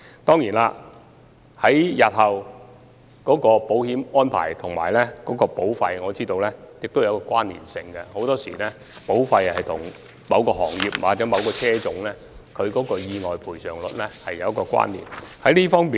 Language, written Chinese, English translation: Cantonese, 當然，我知道日後的保險安排與保費是有關連性的，保費與某個行業或某個車種的意外賠償率很多時候有關連。, Of course I know that the future insurance arrangements are associated with the premium payment and the amount of premium payment is often related to the accident claim rate for a certain industry or vehicle type